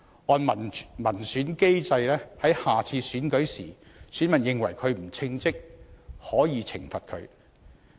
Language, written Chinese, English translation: Cantonese, 按照民選機制，如果選民認為他不稱職，下次選舉時可以懲罰他。, Under the mechanism of public elections if voters consider him incompetent they may punish him in the next election